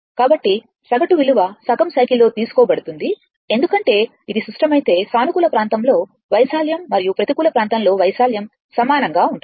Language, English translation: Telugu, So, the average value is taken over the half cycle because, if it is symmetrical, that I told you the negative and positive area and negative area will be same